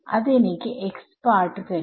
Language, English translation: Malayalam, So, that will give me the x part